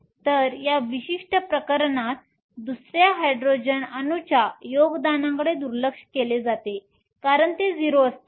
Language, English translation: Marathi, So, in this particular case the contribution from the second Hydrogen atom is neglected because it is times 0